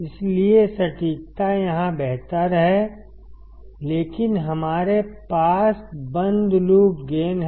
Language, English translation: Hindi, So, accuracy is better here, but we have finite closed loop gain